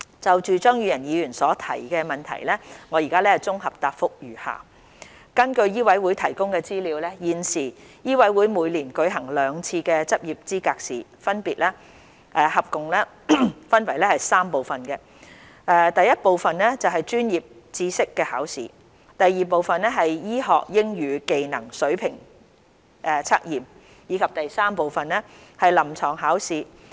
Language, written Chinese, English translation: Cantonese, 就張宇人議員所提出的質詢，我現綜合答覆如下：根據醫委會提供的資料，現時醫委會每年舉行兩次執業資格試，共分為3部分，分別為第一部分：專業知識考試、第二部分：醫學英語技能水平測驗，以及第三部分：臨床考試。, My consolidated reply to the questions raised by Mr Tommy CHEUNG is as follows According to the information provided by MCHK LE is currently held twice annually and comprises three parts namely Part I―The Examination in Professional Knowledge Part II―The Proficiency Test in Medical English and Part III―The Clinical Examination